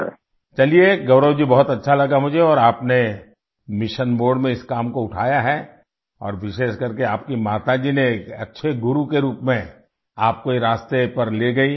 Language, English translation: Urdu, Well Gaurav ji, it is very nice that you and I have taken up this work in mission mode and especially your mother took you on this path as a good guru